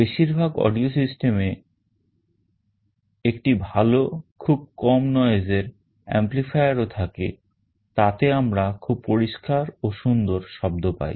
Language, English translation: Bengali, In most audio systems we also have a good amplifier circuit with very low noise so that we get a very clear and nice sound